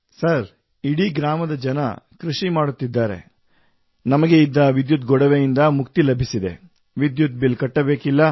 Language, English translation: Kannada, Sir, the people of the whole village, they are into agriculture, so we have got rid of electricity hassles